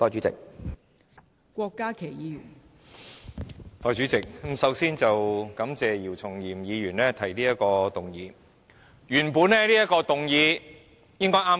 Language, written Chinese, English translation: Cantonese, 代理主席，首先感謝姚松炎議員提出這項議案。, Deputy President first of all I would like to thank Dr YIU Chung - yim for moving this motion